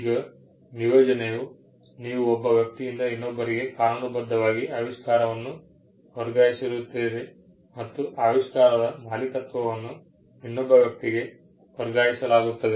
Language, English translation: Kannada, Now, assignment is the ray by which you can legally pass on an invention from one person to another; the ownership of an invention is passed on to another entity or another person